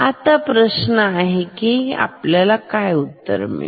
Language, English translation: Marathi, This is the question, what is the answer